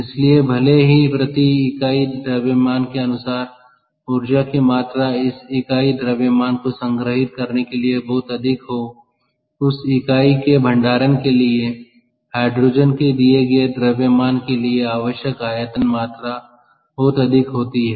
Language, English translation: Hindi, so therefore, even though per unit mass, the, the energy content is very high, to store that unit mass, to have a storage for that unit of, for a, for a given mass of hydrogen, the volume required is among us, ok